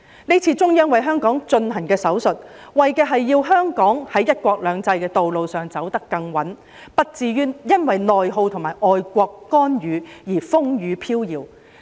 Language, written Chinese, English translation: Cantonese, 這次中央為香港進行的"手術"，為的是要香港在"一國兩制"的道路上走得更穩，不至於因為內耗及外國干預而風雨飄搖。, The surgery on Hong Kong performed by the Central Authorities this time around seeks to ensure that Hong Kong can walk steadily on the path of one country two systems and will not be shaken by internal rift and external intervention